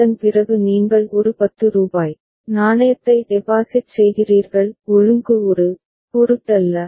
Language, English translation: Tamil, After that you are depositing a rupees 10 coin; order does not matter